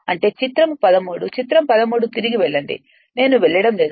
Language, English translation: Telugu, That is figure 13 you go back figure 13, I am not going